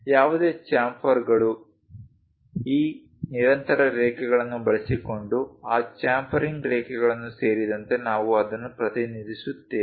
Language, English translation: Kannada, Any chamfers, we represent including that chamfering lens using these continuous lines